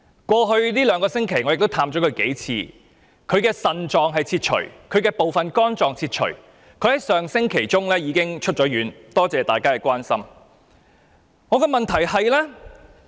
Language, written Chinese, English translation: Cantonese, 過去兩星期，我曾多次探望他，他的腎臟和部分肝臟被切除，但他上星期已經出院，多謝大家關心。, I visited him many times in the past two weeks . He has one of his kidneys and part of his liver removed but he was discharged from hospital last week . I would like to thank Honourable colleagues for their concern